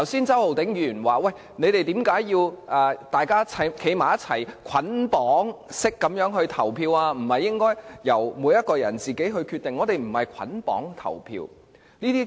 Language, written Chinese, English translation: Cantonese, 周浩鼎議員剛才問我們為何要作出捆綁式投票，不是應該由每一個人自行決定投票意向嗎？, Mr Holden CHOW asked earlier why we have to bundle our votes together instead of allowing each person to make his own voting decision